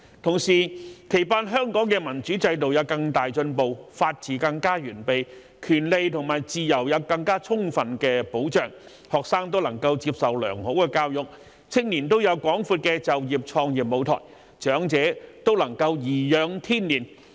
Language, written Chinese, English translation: Cantonese, 同時，期盼香港的民主制度有更大進步，法治更加完備，權利和自由有更充分的保障，學生均能接受良好的教育，青年均有廣闊的就業創業舞臺，長者均能頤養天年。, At the same time it is expected that Hong Kongs democratic system will make greater progress the rule of law will be more complete rights and freedoms will be more fully protected students will receive a good education young people will have a broad platform for employment and entrepreneurship and the elderly will be able to enjoy a contented life in their twilight years